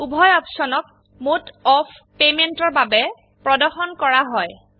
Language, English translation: Assamese, Both the options for mode of payment are displayed